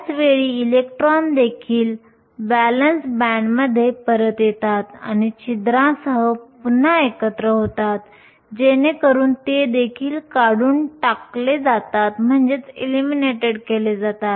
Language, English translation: Marathi, At the same time electrons also fall back to the valence band and recombine with the holes, so that they are also getting eliminated